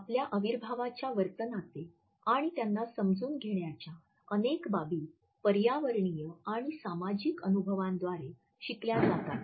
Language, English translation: Marathi, Many aspects of our kinesic behavior and understanding are learned through environmental and social experiences